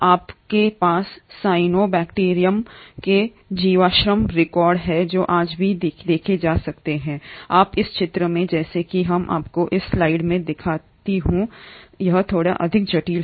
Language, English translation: Hindi, You have fossil records of cyanobacterium which are seen even today and you find as in this picture, as I show you in this slide, it is a little more complex